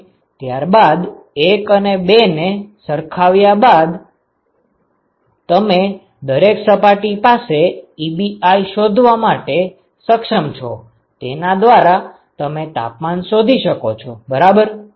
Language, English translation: Gujarati, And then equating 1 and 2 you will be able to find the Ebi for every surface and from that you can find out the temperatures ok